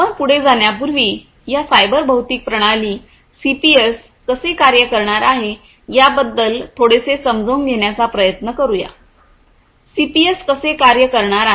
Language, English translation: Marathi, So, before I go any further, let us again try to understand in little bit of depth about how this cyber physical system, CPS is going to work right; how the CPS is going to work